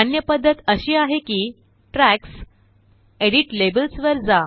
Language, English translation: Marathi, Another way to do this is to go to Tracks gtgt Edit Labels